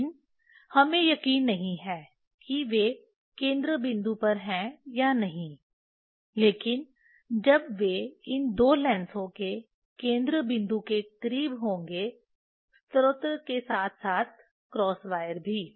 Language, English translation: Hindi, but we are not sure that whether they are at the focal point or not, but when they will be close to the close to the focal point of these two lens the source as well as the cross wire